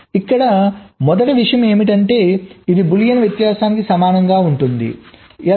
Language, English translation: Telugu, the first point is that it is similar in concept to boolean difference